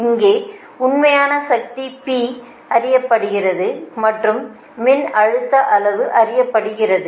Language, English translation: Tamil, right, here that real power is known, p is known and voltage magnitude is known